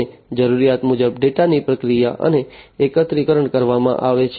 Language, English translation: Gujarati, And as per the requirement, the data is processed and aggregated